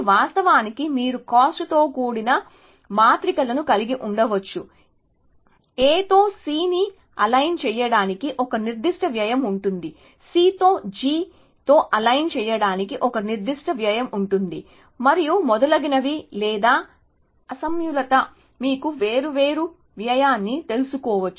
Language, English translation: Telugu, In practice of course, you may have a cost matrices which would say that, aligning a C with A has a certain cost, aligning a C with a G has a certain cost and so on and so forth or mismatches may have you know different cost